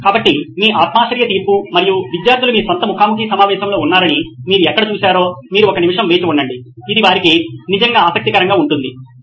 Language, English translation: Telugu, So your subjective judgment and where you saw that students were in your own interviews you said wait a minute, this is really interesting ones for them